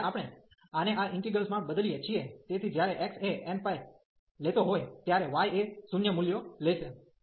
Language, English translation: Gujarati, So, when we substitute this in this integral, so when the x was taking n pi values, the y will take 0 values